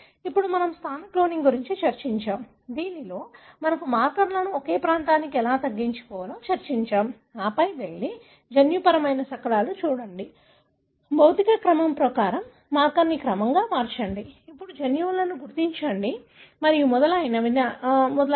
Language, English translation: Telugu, So, this is what, now we have discussed positional cloning, wherein, you know, we have discussed how the markers we used to narrow down a region and then you go and look into the genomic fragments, rearrange the marker according to physical order, then identify genes and so on